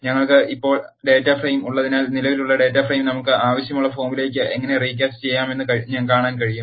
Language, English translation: Malayalam, Since we have the data frame now, we can see how to recast the existing data frame into the form which we want